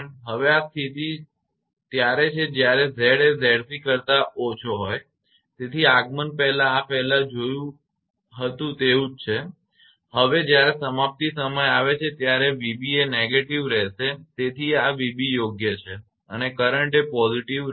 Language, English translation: Gujarati, Now, this condition is when Z less than Z c; when less than Z Z c right, so before arrival this is same as before, now when it is when on arrival at termination v b will be negative so this is v b right and current will be positive